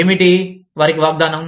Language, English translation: Telugu, What, promising them